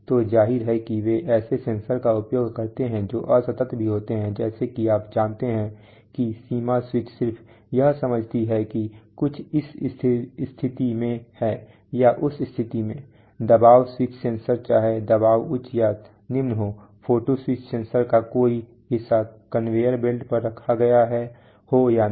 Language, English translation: Hindi, So obviously they use sensors which are also discrete that is they like you know limit switches just sense whether something is in this position or that position, pressure switch sensors whether the pressure is high or low, photo switch sensors whether a part is placed on the conveyor belt or not